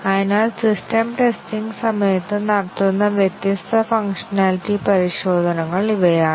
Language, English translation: Malayalam, So, these are the different functionality tests that are done during system testing